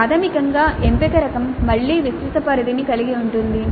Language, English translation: Telugu, So basically the selection type again has a wide range